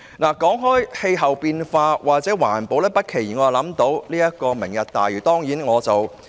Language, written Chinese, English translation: Cantonese, 談到氣候變化或環保，我不期然想起"明日大嶼"。, When it comes to climate change or environmental protection I will naturally think of Lantau Tomorrow